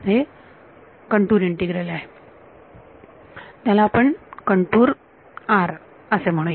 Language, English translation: Marathi, It is a contour integral over, let us call this you know, a contour R